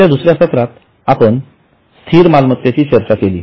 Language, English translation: Marathi, In our second session we have discussed what is a fixed asset